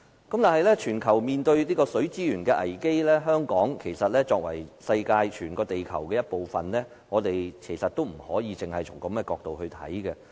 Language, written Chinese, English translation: Cantonese, 當全球均面對水資源危機，香港作為全球的其中一個城市，我們不能只從這角度看事情。, When there is a global crisis in water resources Hong Kong as one of the cities in the world cannot see things from this perspective